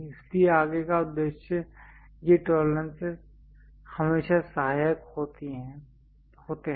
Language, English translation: Hindi, So, further purpose these tolerances are always be helpful